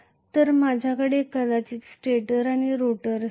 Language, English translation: Marathi, So I am going to have stator and rotor probably